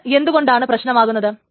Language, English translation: Malayalam, Why is this a problem